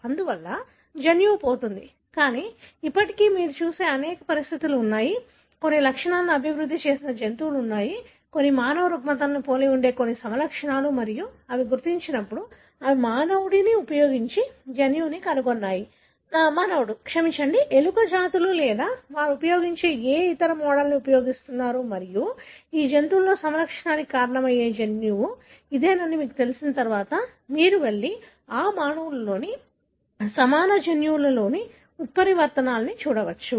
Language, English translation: Telugu, Therefore, the gene gets lost, but still there are many condition that you see wherein, there are animals that developed some symptoms, some phenotype that resemble some human disorders and when they have identified such, then they have located the gene for that using human, human, the sorry, using the mouse species or any other model that they have used and once you know this is the gene that causes a phenotype in this animal, then you can go and look at the mutations in that equivalent gene in the human